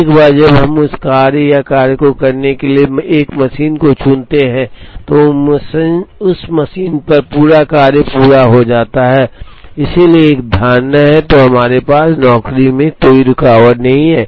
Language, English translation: Hindi, What we assume here is once we pick a machine to do that job or a task, the entire task is completed on that machine, so that is an assumption, then we also have no job interruption